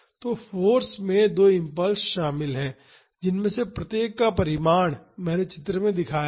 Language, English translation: Hindi, So, the force is consisting of two impulses each of magnitude I has shown in figure